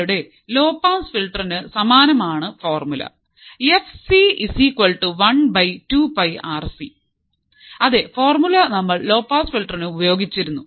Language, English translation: Malayalam, Formula is similar to your low pass filter that is fc equals to one upon 2 pi Rc ,same formula, we have used for the low pass filter as well